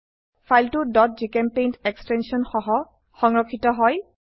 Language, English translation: Assamese, File is saved with .gchempaint extension